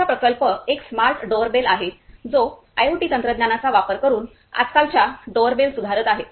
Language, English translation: Marathi, Our project is a Smart Doorbell which is using the IoT technologies to improve the present day doorbells